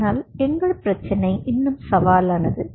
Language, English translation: Tamil, but our problem was even much more challenging